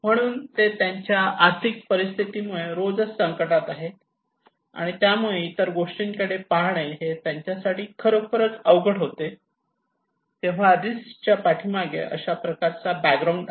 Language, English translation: Marathi, So, when they are every day at crisis because of their financial condition, it is really tough for them to look into other matter okay, so it is a kind of background risk